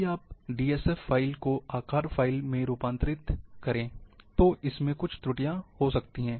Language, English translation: Hindi, DSF file, if you convert into shape file, it might bring certain errors